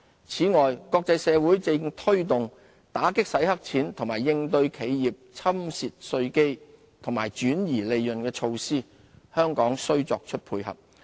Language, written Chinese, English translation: Cantonese, 此外，國際社會正推動打擊洗黑錢和應對企業侵蝕稅基及轉移利潤的措施，香港須作出配合。, Besides the international community is taking forward measures to counter money laundering tax base erosion and profit shifting . Hong Kong should complement these global efforts